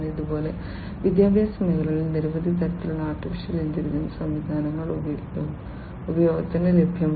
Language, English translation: Malayalam, Like this, there are many different types of AI based systems in education sector that are available for use